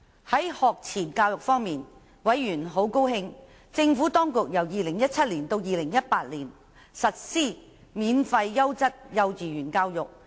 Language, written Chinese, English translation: Cantonese, 在學前教育方面，委員很高興政府當局由 2017-2018 學年起實施免費優質幼稚園教育。, Regarding pre - primary education members were delighted that the Administration would implement from the 2017 - 2018 school year onwards free quality kindergarten education